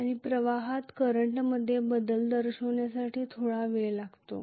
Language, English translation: Marathi, And it takes a little while for the flux to show up that change in the current